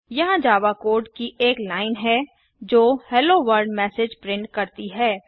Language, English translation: Hindi, Here is a line of java code that prints the message Hello World Now let us try it on Eclipse